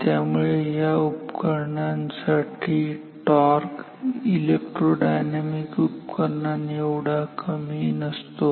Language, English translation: Marathi, So, this is not the torque in this instrument is not as low as electro dynamic instruments